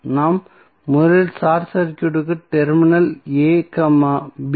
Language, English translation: Tamil, We have to first short circuit the terminal a, b